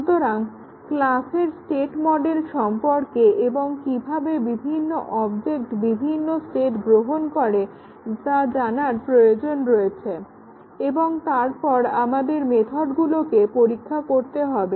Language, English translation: Bengali, So, we need to consider the state model of the class and how the objects assume different states and then we need to test the methods there